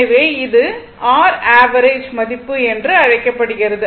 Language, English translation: Tamil, It will measure this called rms value